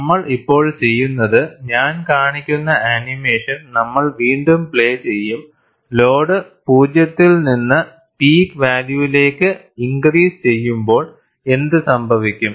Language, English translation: Malayalam, And what we will do now is, we will replay the animation, where I am showing, what happens when load is increased from 0 to the peak value